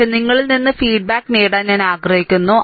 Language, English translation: Malayalam, But I want to get feedback from you ah, right